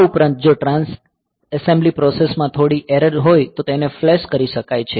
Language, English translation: Gujarati, And also if there is some error in the Trans assembly process then they can be flashed